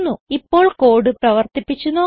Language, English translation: Malayalam, Now let us see the code in action